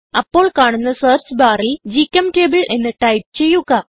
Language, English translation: Malayalam, In the search bar that appears type gchemtable